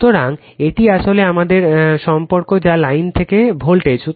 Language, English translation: Bengali, So, this is actually our relationship that is line to voltage